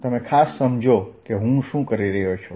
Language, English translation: Gujarati, so please understand what i am doing